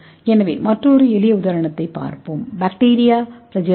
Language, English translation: Tamil, So let us see another simple example bacteria flagella